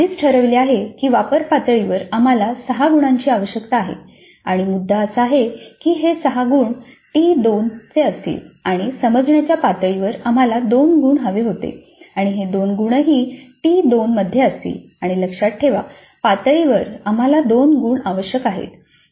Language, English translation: Marathi, We already have decided that at apply level we need 6 marks and the decision is that these 6 marks would belong to T2 and at understandable we wanted 2 marks and these 2 marks also will be in T2 and at remember level we 2 we need 2 marks and these will be covered in FIS 2